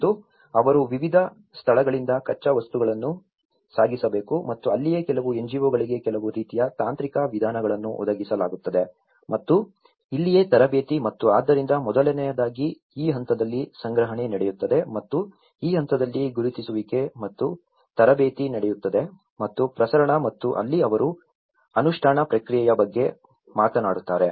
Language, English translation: Kannada, And they have to transport raw materials from different places, and that is where some NGOs also are provided some kind of technical means and this is where the training and so first of all procurement happens at this stage and identification happens at this stage and the training and dissemination and that is where they talk about the implementation process